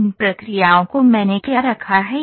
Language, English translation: Hindi, So, what are these processes those I have put